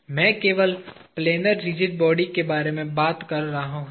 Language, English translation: Hindi, I am talking about only planar rigid body